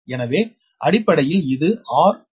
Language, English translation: Tamil, so basically it is r zero, d into the power one by four